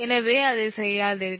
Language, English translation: Tamil, dont do that